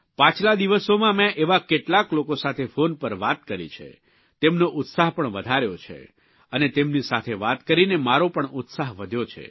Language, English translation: Gujarati, During the course of the last few days, I spoke to a few such people over the phone, boosting their zeal, in turn raising my own enthusiasm too